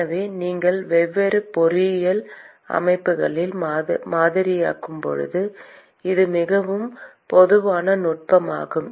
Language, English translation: Tamil, So, it is a very, very common technique used when you model different engineering systems